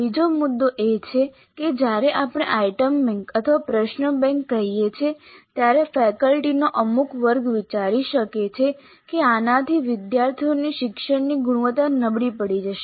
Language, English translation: Gujarati, The second issue is that the moment we say item bank or question bank or anything like that, certain segment of the faculty might consider that this will dilute the quality of learning by the students